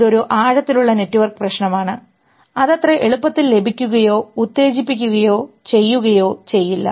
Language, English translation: Malayalam, This is a deeper network problem which will not get so easily stimulated or done by